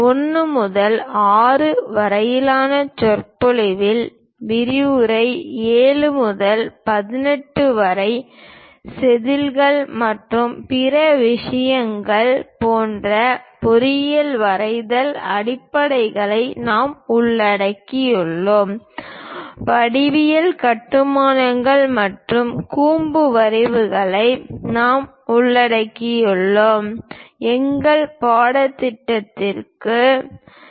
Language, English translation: Tamil, In the lecture 1 to 6, we have covered the basics of engineering drawing like scales and other things, from lecture 7 to 18; we will cover geometry constructions and conic sections; our textbooks are by N